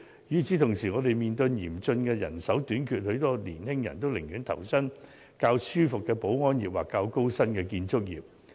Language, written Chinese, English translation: Cantonese, 與此同時，我們面對嚴竣的人手短缺，很多年輕人寧願投身較舒服的保安業或較高薪的建築業。, What is worse the industry is facing a severe shortage of manpower as many young people prefer to join the security industry for a more comfortable working environment or the construction industry for better salaries